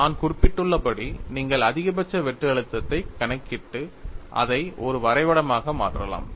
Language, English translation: Tamil, As I mentioned, you could calculate maximum shear stress and make it as a plot